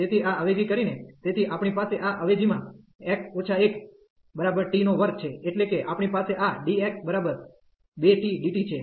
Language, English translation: Gujarati, So, by doing this substitution, so we have a substituted this x minus 1 is equal to t square that means, we have this dx is equal to 2 t and dt